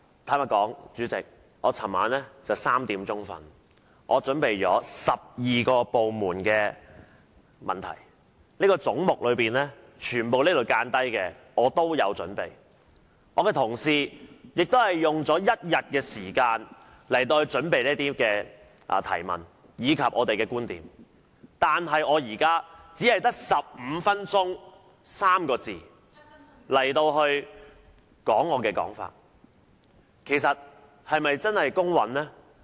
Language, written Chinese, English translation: Cantonese, 主席，老實說，我昨晚直至凌晨3時才睡覺，因為我為12個部門準備了很多問題，包括所有這裏有標示的總目，而我的同事也花了1天時間準備提出不同的問題和表達觀點，但我現在卻只有15分鐘發言時間表達我的想法，這個安排是否公平呢？, Chairman honestly I did not go to bed until 3col00 am early this morning because I had to prepare to ask many questions about 12 government departments including the heads marked here . My colleagues also spent a whole day making preparations for asking questions and expressing their views . But now I am given only 15 minutes to express my views